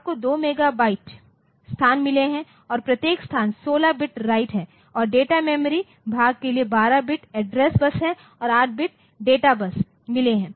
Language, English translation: Hindi, So, this is a so, you have got 2 mega 2 megabyte 2 mega locations and each location is 16 bit write and for the data memory part so, I have got 12 bit address bus and 8 bit of data bus ok